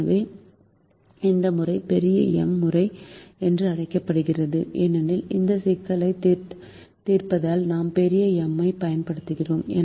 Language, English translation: Tamil, so this method is also called big m method because we are using the big m in solving these problems